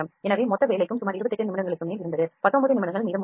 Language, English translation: Tamil, So, to total job was above around 28 minutes and 19 minutes is left